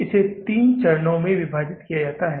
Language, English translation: Hindi, So, it is divided into three steps